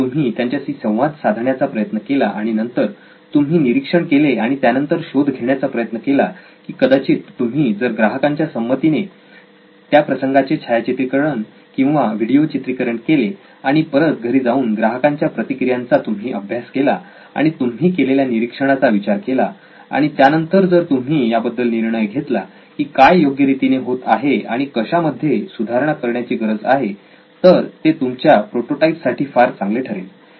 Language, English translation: Marathi, If they would interact with that and then you observe and find out and preferably if you can even videograph or photograph their reactions how they do it with their permission of course and you come back home and analyze what you have seen, what you have observed and then take your call on what do we change in this, what work and what did not work with your prototype That is probably better ideal to in terms of prototyping and your field work